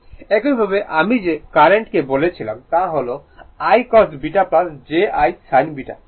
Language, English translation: Bengali, Similarly, current I told you it is I cos beta plus j I sin beta